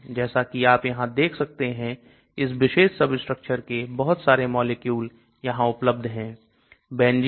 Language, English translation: Hindi, As you can see here the large number of molecules have this particular substructure